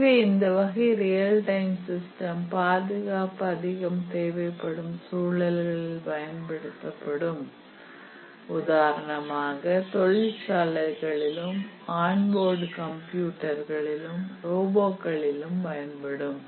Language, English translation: Tamil, And many hard real time systems are safety critical for example, the industrial control applications, on board computers, robots etcetera